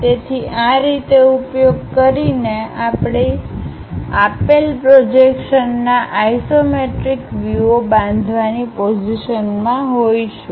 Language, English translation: Gujarati, So, using this way we will be in a position to construct isometric views of given projections